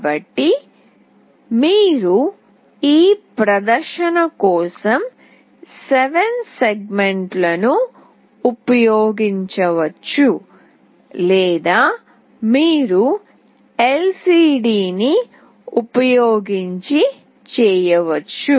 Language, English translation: Telugu, So, you can either use 7segments for your display or you can do it using LCD